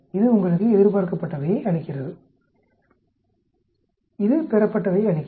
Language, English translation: Tamil, This gives you the expected, this gives the observed